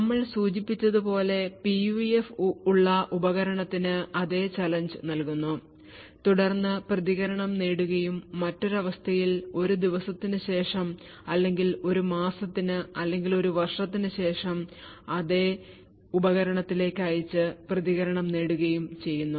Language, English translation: Malayalam, So, as we mentioned, we provide the same challenge to the device which is having the PUF, obtain the response and in a different condition maybe after a day or after a month or after a year, we send exactly the same device and obtain the response